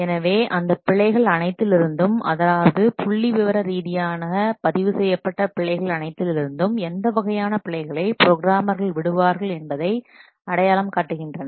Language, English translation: Tamil, So out of all those errors, those are statistically recorded, then they identify which kind of errors, the programmers that are most frequently they are committing